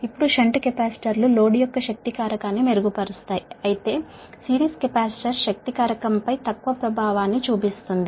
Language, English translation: Telugu, now, shunt capacitors improves the power factor of the load, it is true, whereas series capacitor has little effect on power factor